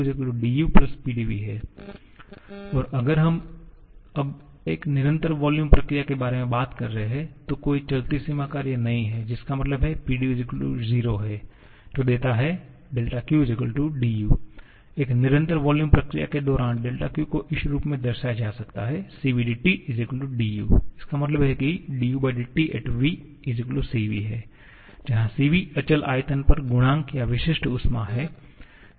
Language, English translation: Hindi, And if we are talking about a constant volume process now, then there is no moving boundary work which is=0 which gives del Q=du and del Q during a constant volume process can be represented as Cv dT will be=du, that means dou u dou T at constant volume can be represented as Cv, the coefficient or specific heat at constant volume